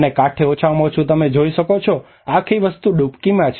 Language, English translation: Gujarati, And on the banks at least you can see that the whole thing is in the inundation